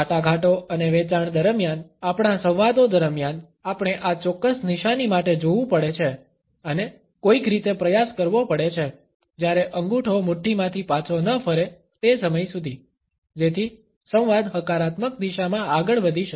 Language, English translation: Gujarati, During negotiations and sales, during our dialogues, we have to watch for this particular sign and try to somehow, while away the time until the thumb moves back out of the fist so that the dialogue can move in a positive direction